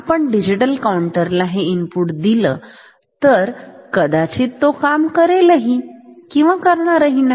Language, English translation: Marathi, If we give this input to digital counter it may even work or it may not even work